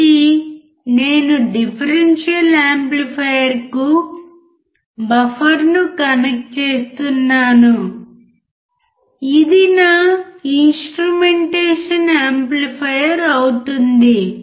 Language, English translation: Telugu, So, I am connecting buffer to the differential amplifier, this makes my instrumentation amplifier